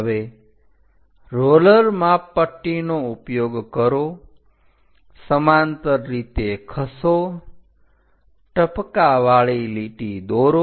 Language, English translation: Gujarati, Now use your roller scaler, move parallel, draw dash dot kind of line